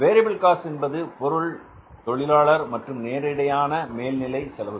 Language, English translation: Tamil, The variable cost is on account of the material, labour and the other direct overheads